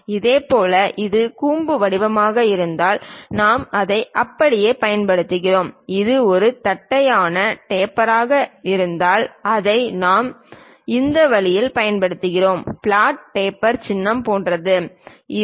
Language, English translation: Tamil, Similarly, other things like if it is conical taper, we use it in that way if it is just a flat taper we use it in this way, something like flat taper symbol is this